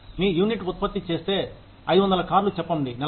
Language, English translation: Telugu, If your unit produces, say 500 cars in a month